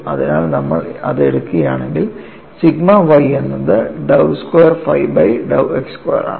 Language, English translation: Malayalam, So, if you take that, you have sigma y as given as dou squared phi by dou x square